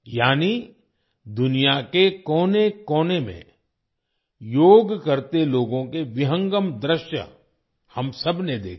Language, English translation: Hindi, That is, we all saw panoramic views of people doing Yoga in every corner of the world